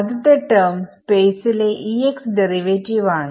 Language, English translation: Malayalam, So, first term is E x derivative in space